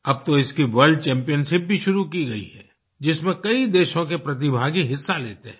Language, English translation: Hindi, And now, its World Championship has also been started which sees participants from many countries